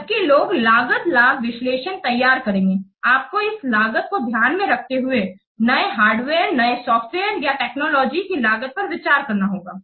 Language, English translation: Hindi, While you will prepare the cost benefit analysis, you have to consider the cost of new hardware, new software, new technology you have to take into account this cost